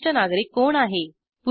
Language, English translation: Marathi, Who is a senior citizen